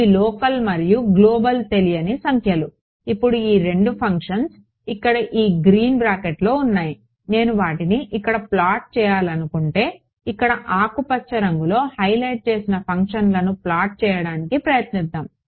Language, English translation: Telugu, Local and global what unknown numbers now these two functions over here that I have in these green brackets over here, if I want to plot them over here let us let us try to plot the functions that I have shown highlighted in green over here